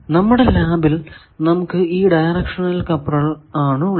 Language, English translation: Malayalam, So, this becomes a directional coupler